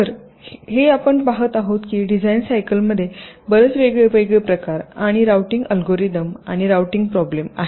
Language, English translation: Marathi, so here we shall see that there are many different kinds and types of routing algorithms and routing problems involved in the design cycle